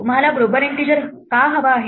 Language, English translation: Marathi, Why would you want a global integer